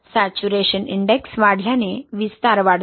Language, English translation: Marathi, Increase in saturation index leads to increased in expansion